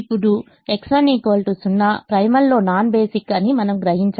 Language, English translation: Telugu, now we realize x one is equal to zero, non basic